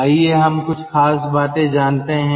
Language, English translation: Hindi, let us explain certain things